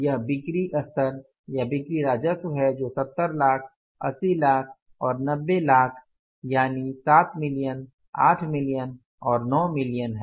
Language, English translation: Hindi, This is the sales level or the sales revenue which is 7, 70 lakhs, 80 lakhs and 90 lakhs 7 million, 8 million and 9 million right